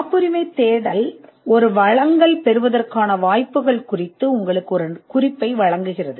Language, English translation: Tamil, The patentability search gives you an indication as to the chances of getting a grant